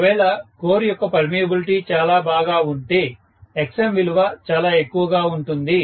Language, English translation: Telugu, So if the permeability of the course is pretty good, Xm will be a very high value